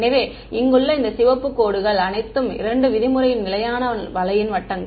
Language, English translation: Tamil, So, these red dash lines over here these are all circles of constant 2 norm right